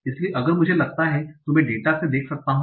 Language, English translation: Hindi, So if I want to see the data